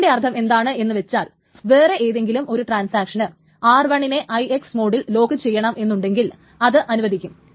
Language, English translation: Malayalam, So that means any other transaction which wants to lock R1 in an IX mode may also be granted